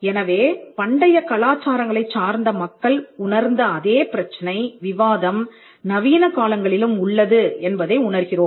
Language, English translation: Tamil, So, this issue that existed between the people in the ancient cultures you see that it also the same debate also requires in the modern times